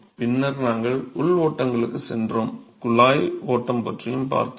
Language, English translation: Tamil, And then we moved on to internal flows; really pipe flow is what we looked at